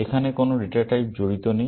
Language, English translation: Bengali, There are no data types involved here